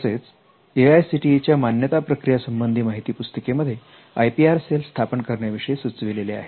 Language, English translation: Marathi, And the AICTE, approval process handbook mentions the creation of IPR cell